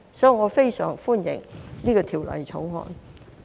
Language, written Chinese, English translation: Cantonese, 所以，我非常歡迎《條例草案》。, Therefore I very much welcome the Bill